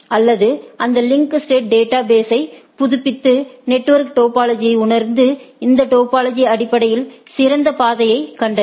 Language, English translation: Tamil, Or update its link state database and realize the network topology and find the best path based on this topology